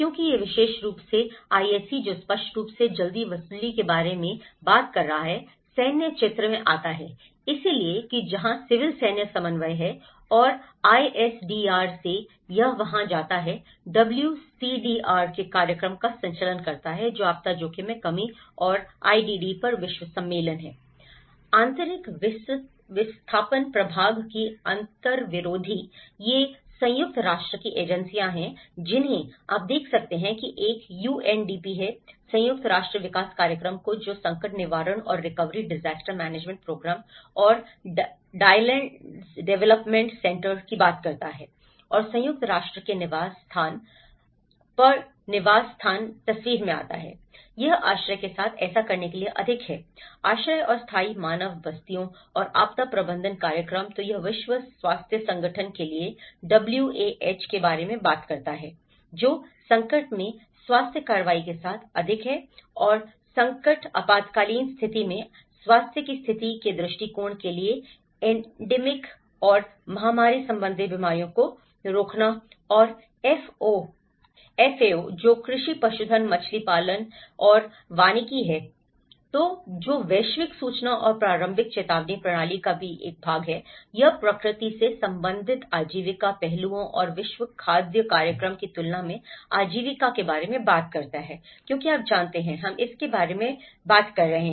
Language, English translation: Hindi, Because this particular IAC, which is talking about the early recovery obviously, military comes into the picture, so that is where the civil military coordination is there and from the ISDR, it goes to the; conducts the program of WCDR which is the world conference on disaster risk reduction and the IDD; interagency of internal displacement division so, these are the UN agencies which you can see that the one is UNDP; United Nations Development Program which talks about the crisis prevention and recovery disaster management program and drylands development centre